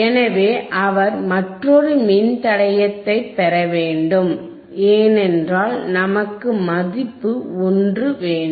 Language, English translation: Tamil, So, he has to again get a another resistor another resistor because we want value which is 1